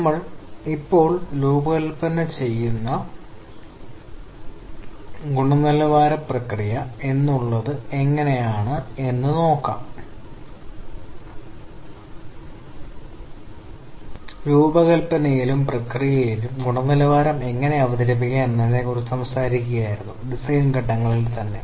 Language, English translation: Malayalam, We were talking about how to introduced quality at the product design and the process design stages itself